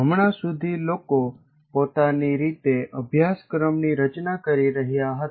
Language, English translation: Gujarati, Till now what people have been doing is they are designing the course in their own way